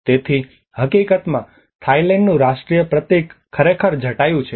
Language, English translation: Gujarati, So, in fact, the national symbol of Thailand is actually Jatayu